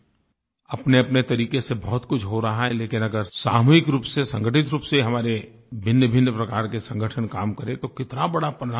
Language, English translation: Hindi, They are doing a lot in their own way but if work is done collectively, in an organized manner, then these various organizations of ours can bring about huge results